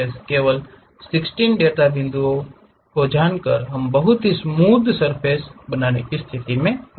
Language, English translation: Hindi, By just knowing 16 data points we will be in a position to construct a very smooth surface